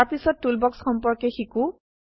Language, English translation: Assamese, Next lets learn about Toolbox